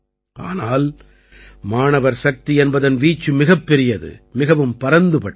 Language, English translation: Tamil, But the scope of student power is very big, very vast